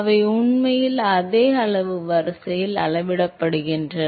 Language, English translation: Tamil, They actually scale to the same order of magnitude